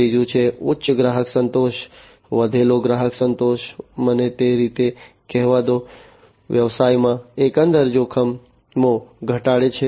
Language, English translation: Gujarati, The third one is the higher customer satisfaction, increased customer satisfaction let me call it that way, reducing the overall risks in the business